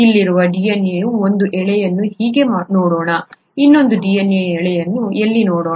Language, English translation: Kannada, Let us look at one strand of the DNA here like this, let us look at the other strand of DNA here that is like this